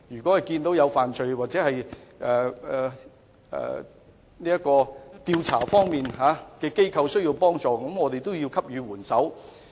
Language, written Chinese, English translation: Cantonese, 當得悉有罪案或有調查機構需要幫助時，便應該給予援手。, When we learn that assistance is needed by an investigative body in handling a criminal case we should offer help